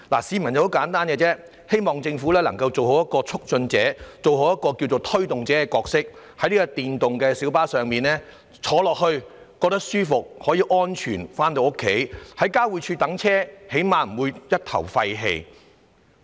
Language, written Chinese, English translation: Cantonese, 市民的要求很簡單，希望政府能夠做好促進者、推動者的角色，在電動小巴方面，乘客可以舒服而安全地回家，在交匯處候車時至少不會一頭廢氣。, The aspirations of the public are very simple . They hope that the Government can properly play the role of a facilitator and promoter in respect of e - PLBs so that passengers can go home comfortably and safely and do not have to inhale exhaust fumes when waiting at PTIs